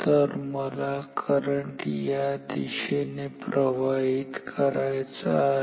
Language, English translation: Marathi, So, I want the current to flow in this direction